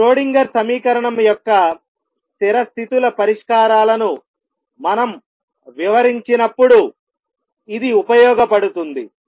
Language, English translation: Telugu, It should be useful when we describe stationary sates solutions of the Schrodinger equation